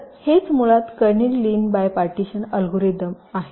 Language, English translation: Marathi, so this is basically what is kernighan lin by partitioning algorithm